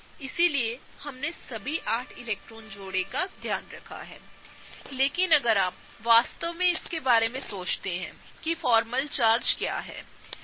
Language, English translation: Hindi, So, we have taken care of all the eight electron pairs, but if you really think about it what about formal charges; right